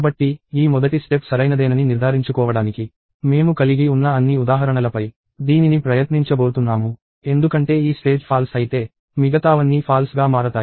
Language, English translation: Telugu, So, I am going to try it on all the examples that I have just to ensure that, this first step is correct; because if this step is wrong, everything else is going to be wrong